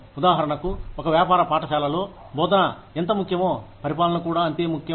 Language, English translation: Telugu, For example, in a business school, administration is just as important as teaching